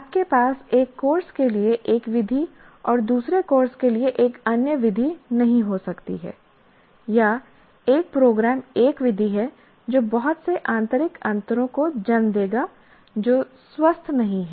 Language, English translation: Hindi, You cannot have for one course, one method, another course, another method, or one program one method like that, that will lead to a lot of what do you call internal differences which is not healthy